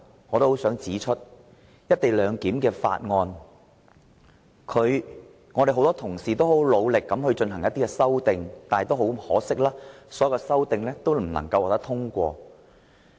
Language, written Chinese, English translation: Cantonese, 我想指出的第三點，是多位議員皆曾努力對《條例草案》提出修正案，但可惜的是，所有修正案均不獲通過。, The third point I wish to raise is that many Members have endeavoured to put forth amendments to the Bill . But sadly all amendments have been voted down